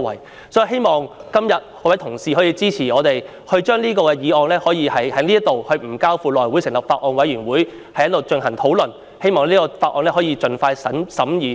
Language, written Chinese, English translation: Cantonese, 所以，我希望今天各位同事能夠支持我們，令《條例草案》可以無須交付內務委員會成立法案委員會，而是直接在此進行討論，從而令《條例草案》可以盡快審議。, Therefore I hope Honourable colleagues will support us today so that the Bill can be discussed here today direct instead of being referred to the House Committee pending the forming of a Bills Committee